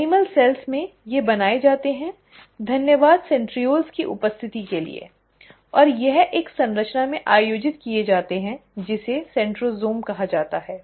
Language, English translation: Hindi, In animal cells, they are made, thanks to the presence of centrioles, and it is organized in a structure called centrosome